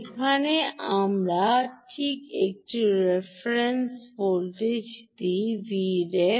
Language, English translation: Bengali, here we give a reference voltage, v ref, right, v ref